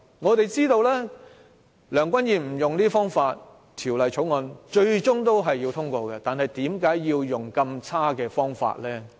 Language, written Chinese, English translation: Cantonese, 我們都知道即使梁君彥不使用這些方法，《條例草案》最終也會獲得通過，那為何要用上這麼差勁的方法？, We all know that regardless of what Mr Andrew LEUNG does the Bill will be passed . So why is it necessary to do those awful things?